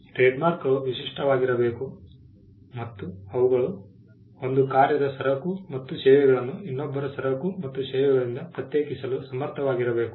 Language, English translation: Kannada, Trademarks need to be distinctive; they should be capable of distinguishing the goods and services of one undertaking from the goods and services of another